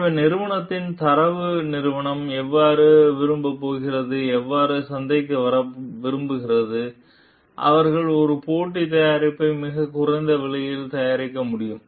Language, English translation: Tamil, So, how the company benchmark company is going to like come to the market and they can produce a competitive product at a much lower price